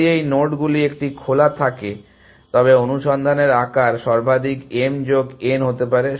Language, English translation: Bengali, If this was the nodes which are an open then the size of search can be utmost m plus n